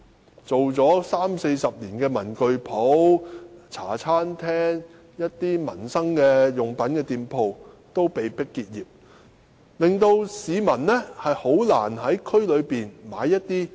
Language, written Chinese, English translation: Cantonese, 經營了三四十年的文具店、茶餐廳和售賣民生用品的店鋪均被迫結業，令市民難以在區內購買日用品。, As shops like stationery stores Hong Kong - style cafes and shops selling daily necessities which have been operating for three to four decades have been forced out of operation residents can hardly buy their daily necessities in the district